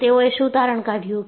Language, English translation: Gujarati, And what they concluded